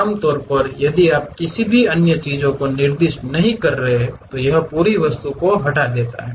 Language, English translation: Hindi, Usually if you are not specifying any other things, it deletes entire object